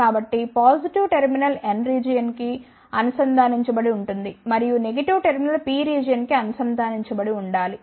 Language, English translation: Telugu, So, that the positive terminal is connected to the N region and the negative terminal should be connected to the P region